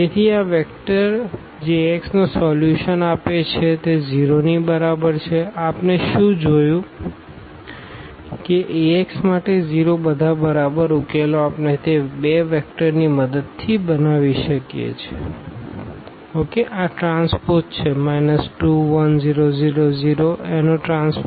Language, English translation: Gujarati, So, this vector that generates solution of Ax is equal to 0, what we have just seen that for Ax is equal to 0 all the solutions we can generate with the help of those two vectors